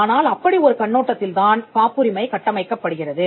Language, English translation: Tamil, So, it is from that perspective that the patent is constructed